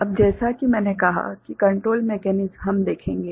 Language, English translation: Hindi, Now, as I said the control mechanisms we shall see right